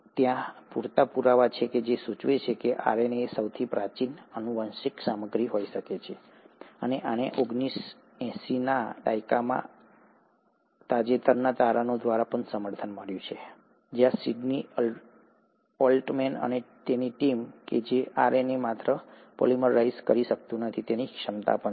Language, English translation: Gujarati, So, there are enough proofs which suggest that RNA might have been the earliest genetic material, and this was also supported by the recent findings in nineteen eighties, where Sydney Altman and team, that RNA can not only polymerize, it is also has the ability to cleave itself